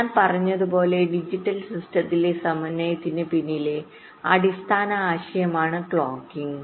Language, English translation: Malayalam, ok, so, as i said, clocking is the basic concept behind synchronization in digital system